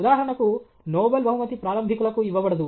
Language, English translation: Telugu, For example, Nobel price is not given to upstarts